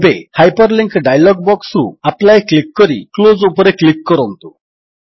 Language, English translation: Odia, Now, from the Hyperlink dialog box, click on Apply and then click on Close